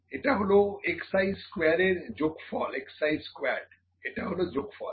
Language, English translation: Bengali, So, I have got this summation of x i squared and this is summation of x i